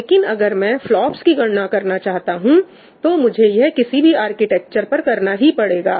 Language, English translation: Hindi, But when I want to calculate the FLOPS, I have to do it on any architecture